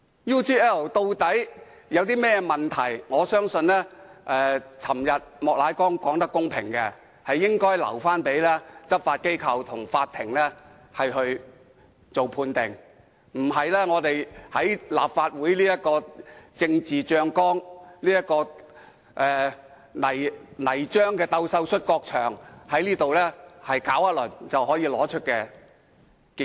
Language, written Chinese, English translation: Cantonese, UGL 事件究竟有甚麼問題，我認為莫乃光議員昨天說得公平，應留待執法機構和法庭判定，而不是在立法會這個"政治醬缸"、這個"泥漿鬥獸摔角場"搞一輪便可得出結果。, What are the problems with the UGL incident? . I think Mr Charles Peter MOK made a fair comment yesterday that the matter should be handled by law enforcement agencies and the court but not by the Legislative Council which is a political tank and mud wrestling field and no result will arise after one round of wrestling